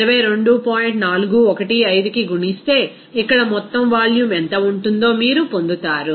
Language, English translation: Telugu, 415, then you will get what will be the total volume here